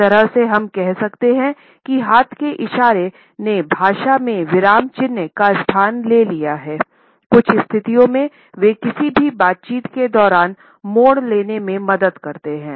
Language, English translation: Hindi, In a way we can say that hand movements have taken the place of punctuation in language, in certain situations they regulate turn taking during any conversation event